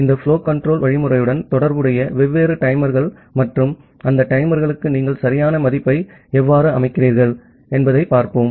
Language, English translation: Tamil, And the different timers associated with this flow control algorithm and how you set a proper value for those timers